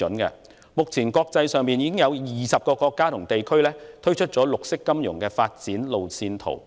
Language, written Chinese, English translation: Cantonese, 現時，已有20個國家和地區推出了綠色金融發展路線圖。, At present some 20 countries and regions have rolled out their green finance development roadmaps